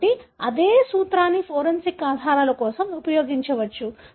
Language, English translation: Telugu, So, the same principle can be used for forensic evidences